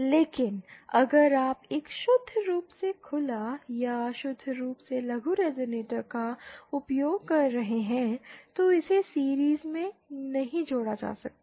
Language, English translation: Hindi, But if you are using a purely open or a purely short resonator, that cannot be connected in series